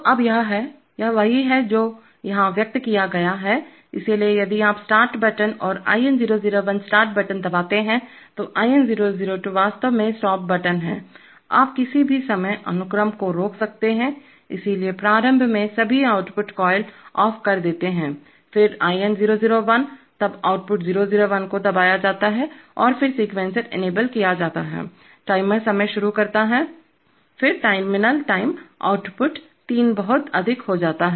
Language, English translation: Hindi, Now, so this is, this is what is expressed here, so if you press Start button and IN001is the start button, IN002 is actually stop button, you could make the sequence stop at any time, so initially all output coils off, then IN001 pressed then output 001 on and latched then sequencer enabled, the timer starts timing then a terminal time output three goes too high